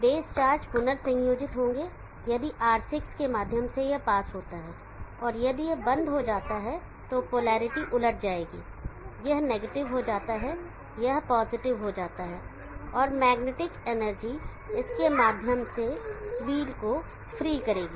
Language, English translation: Hindi, The base charges will recombine in this pass through R6 and if the turns off, there will be reversal of the polarity, this becomes negative, this becomes positive, and magnetic energy will free wheel through this